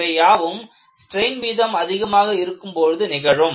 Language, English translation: Tamil, So, these are all happening at very high strain rates